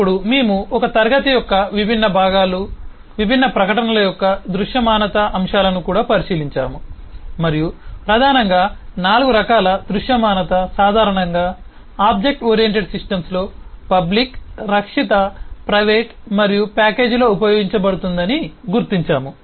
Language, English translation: Telugu, Then we also took a look into the visibility aspects of different components of a class eh, different declarations, eh and noted that primarily there are 4 kinds of visibility commonly used in object oriented systems: the public, protected, private and package